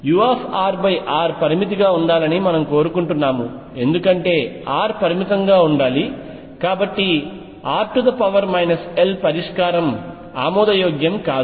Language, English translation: Telugu, We want u r over r to be finite as r tends to 0 because r should remain finite, and therefore r raise to minus l solution is not acceptable